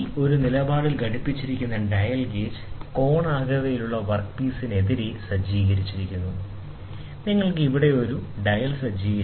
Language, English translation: Malayalam, The dial gauge clamped to a stand is set against the conical work piece; you will set a dial here